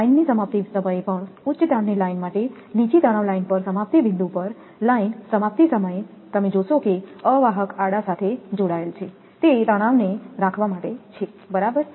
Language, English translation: Gujarati, At termination of the line also not only for high tension line even low tension line also at the termination point, you will see the insulators are connected horizontally, it is to keep the tension right